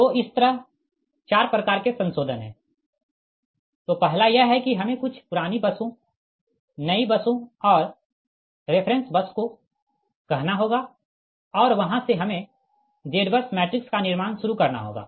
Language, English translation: Hindi, that for your question is: first is your, we have to say some old busses, new busses and the reference bus, and from there we have to start the construct, your forming that z bus matrix